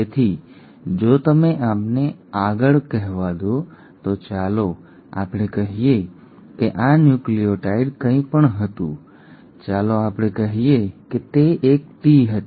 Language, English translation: Gujarati, So if you have let us say a next, let us say this nucleotide was anything; let us say it was a T